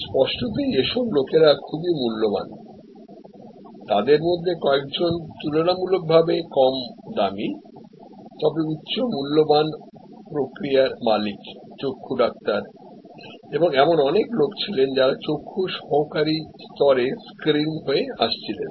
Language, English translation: Bengali, So; obviously, these are people who are very high valued, few of them relatively less expensive, but also high valued process owners, the eye doctors and there were lot of people who were getting screened at the ophthalmic assistant level